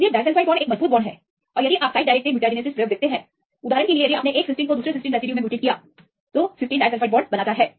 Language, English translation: Hindi, So, disulfide bonds are stronger bonds and if you see the site directed mutagenesis experiments for example, if you mutated a cysteine to another residue and the cysteine makes disulfide bonds